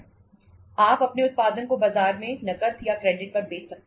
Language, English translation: Hindi, You can sell your production in the market either on cash or on credit